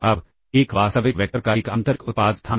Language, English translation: Hindi, Now, what is an inner product space